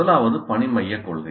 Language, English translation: Tamil, The first one is task centered principle